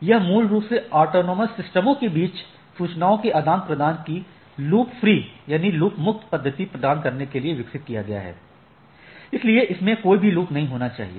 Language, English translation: Hindi, It was originally developed to provide loop free method of exchanging information between autonomous systems, so there should not be any loop right